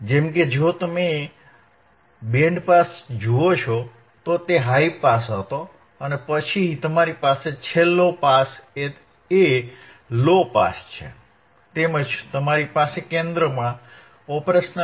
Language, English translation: Gujarati, Like if you see band pass, it was high pass then you have low pass at the end, and you have the OP Amp in the centre right